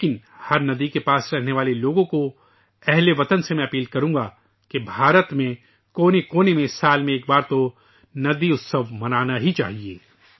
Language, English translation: Urdu, But to all people living near every river; to countrymen I will urge that in India in all corners at least once in a year a river festival must be celebrated